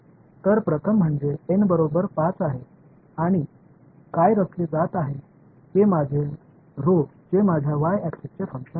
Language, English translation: Marathi, So, the first one is N is equal to 5 and what is being plotted is your rho as a function of this is my y axis